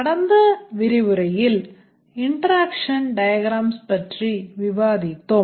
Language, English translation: Tamil, In the last lecture, we had discussed about the interaction diagrams